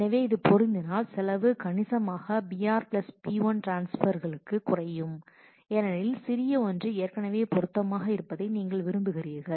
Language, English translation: Tamil, So, if it fits into that then the cost will significantly reduce to b r + b l block transfers because you want the smaller one has already fit